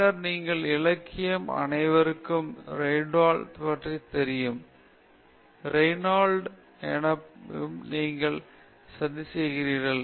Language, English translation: Tamil, And then, literature, everybody knows Reynold’s number, you keep plotting Reynold’s number